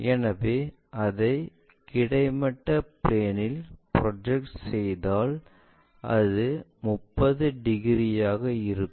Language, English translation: Tamil, So, if I am projecting that onto horizontal plane there is a 30 degrees thing